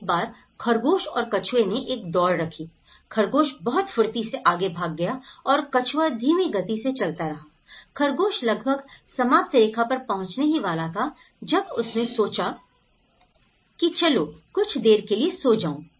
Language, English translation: Hindi, Once the hare and tortoise kept a race; a mild race and hard tortoise was walking down very slowly and then it has just walking very slowly and the hare almost about to reach and she thought okay, I will sleep for some time